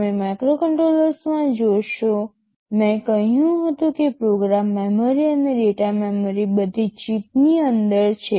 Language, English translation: Gujarati, You see in microcontrollers I told that memory what program memory and data memory are all inside the chip